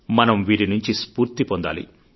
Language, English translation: Telugu, Today, we shall draw inspiration from them